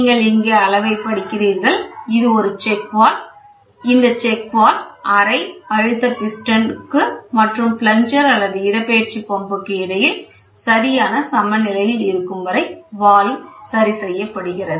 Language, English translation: Tamil, So, gauge to be tested you see at reading here so, this is a check valve, the check valve is adjusted until there is a proper balance between the chamber pressure piston head and plunger or the displacement pump